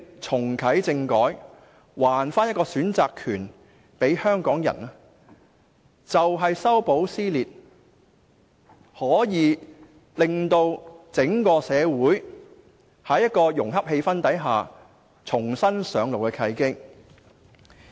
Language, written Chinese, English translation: Cantonese, 重啟政改，把選擇權還給香港人，便是修補撕裂，令整個社會在融洽的氣氛下重新上路的契機。, And so the reactivation of constitutional reform to return to Hong Kong people the right to make our own choices is an opportunity meant for healing social rifts with which the whole society is able to turn over a new leaf in a harmonious atmosphere